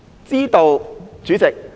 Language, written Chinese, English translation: Cantonese, 知道，主席。, I understand President